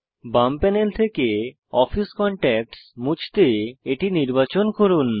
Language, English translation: Bengali, To delete the address book Office Contacts from the left panel select it